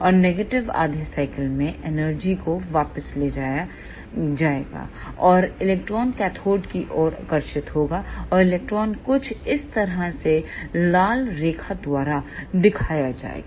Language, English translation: Hindi, And the negative half cycle that energy will be taken back and electron will be ah attracted towards the cathode and the electron will move something like this shown by redline